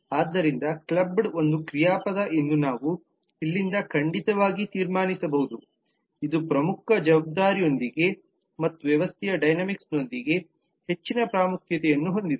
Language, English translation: Kannada, so we can certainly conclude from here that club is a verb which has a more of importance more of relation to the core responsibility and dynamics of the system